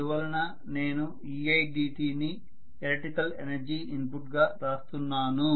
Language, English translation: Telugu, So I am writing e i dt as the electrical energy input